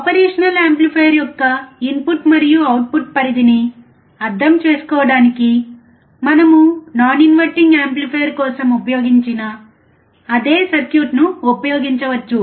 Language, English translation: Telugu, To understand the input and output range of an operational amplifier, we can use the same circuit which we used for the non inverting amplifier